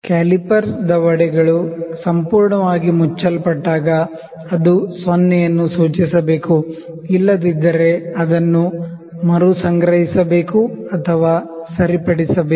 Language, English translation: Kannada, When the calipers jaws are fully closed, it should indicate 0, if it does not it must be recalibrated or repaired